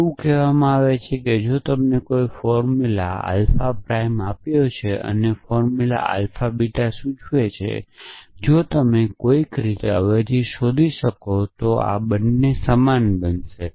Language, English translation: Gujarati, It is saying that if you given a formula alpha prime and a formula alpha implies beta, if you can somehow found find the substitution which will make these two equal